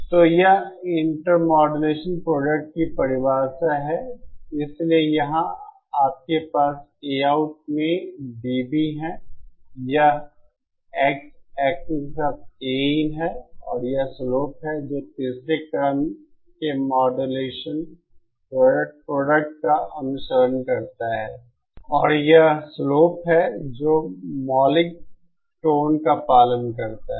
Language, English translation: Hindi, So this is the definition of the intermodulation products, so here you have A out in dB, this is A in along the X axis and this is the slope that the third order modulation product follows and this is the slope that the fundamental tones follows